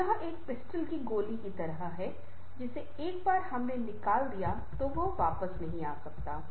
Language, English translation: Hindi, it's just like a bullet: once we are fired it cannot come back